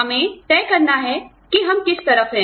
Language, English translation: Hindi, We have to decide, which side, we are on